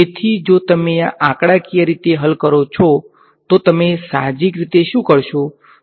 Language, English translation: Gujarati, So, if you were to solve this numerically, what would you do intuitively